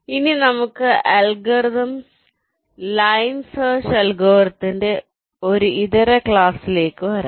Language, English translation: Malayalam, ok, now let us come to an alternate class of algorithms: line search algorithm